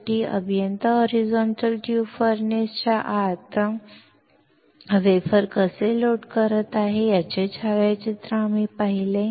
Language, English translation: Marathi, Finally, we saw the photograph of how the engineer is loading the wafer inside the horizontal tube furnace